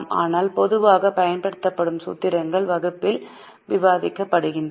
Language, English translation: Tamil, But the formulas which are normally used are being discussed in the class